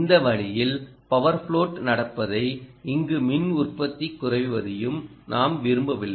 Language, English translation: Tamil, we don't want power float to happen this way and reduce the power output here